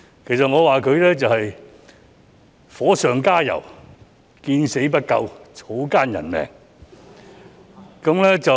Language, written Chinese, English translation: Cantonese, 其實，我覺得他是在火上加油、見死不救、草菅人命。, In fact I think that he is pouring oil on a flame leaving one in the lurch or showing scant regard for human life